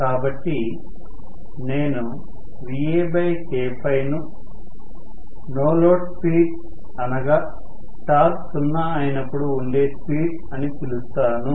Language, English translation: Telugu, So, Va by K phi I can call as the no load speed that is the speed when torque is zero